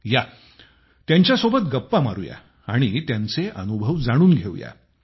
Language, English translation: Marathi, Come, let's talk to them and learn about their experience